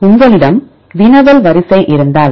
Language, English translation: Tamil, if you have a query sequence